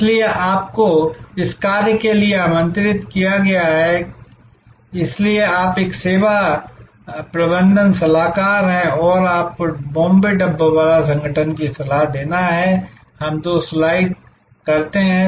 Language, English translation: Hindi, So, on behalf, you are invited to this assignment therefore, you are a service management consultant and you are to advice the Bombay Dabbawala organization, we do two slides